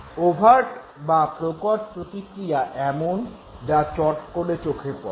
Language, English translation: Bengali, Overt responses are those responses which are very readily observable